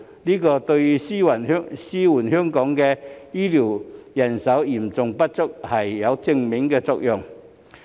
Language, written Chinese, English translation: Cantonese, 這對紓緩香港醫療人手嚴重不足有正面作用。, This has a positive effect on alleviating the acute manpower shortage of healthcare personnel in Hong Kong